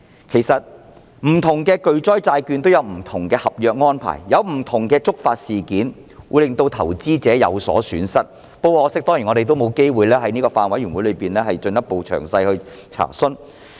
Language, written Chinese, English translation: Cantonese, 其實不同的巨災債券也有不同的合約安排，以及令投資者有所損失的觸發事件，但很可惜我們沒有機會在法案委員會上作進一步詳細查詢。, In fact different catastrophe bonds will set out different contractual arrangements in which different predefined trigger events may cause losses of investments . But unfortunately we have no chance to make further enquiry for the details in a Bills Committee